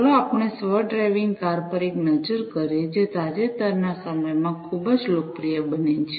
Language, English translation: Gujarati, So, let us take a look at the self driving cars, which has very become very popular in the recent times